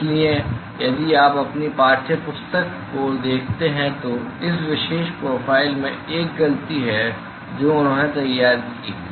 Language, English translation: Hindi, So, if you look at your text book there is a mistake in this particular profile that they have drawn